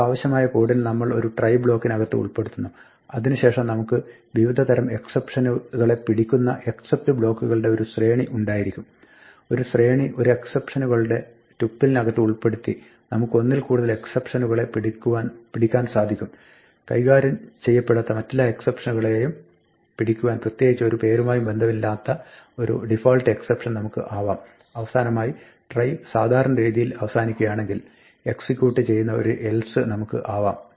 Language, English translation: Malayalam, This is the overall structure of how we handle exceptions we put the code that we want inside a try block then we have a sequence of except blocks which catch different types of exceptions we can catch more than one type of exception by putting a sequence in a tuple of exceptions, we can have a default except with no name associated with it to catch all un other exceptions which are not handled and finally, we have an else which will execute if the try terminates normally